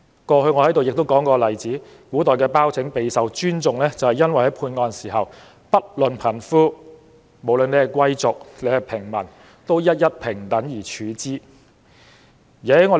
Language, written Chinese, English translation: Cantonese, 過去我提過一個例子，古代的包拯備受尊重，因為判案時，不論貧富、貴族、平民，都得到平等對待。, I once gave the example of BAO Zheng in ancient times . He was highly respected because when he made rulings he treated everyone the rich and poor the nobles and civilians equally